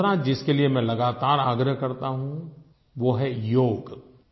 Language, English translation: Hindi, And the second thing that I constantly urge you to do is Yog